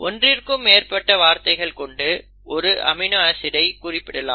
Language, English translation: Tamil, You can have more than one word for a particular amino acid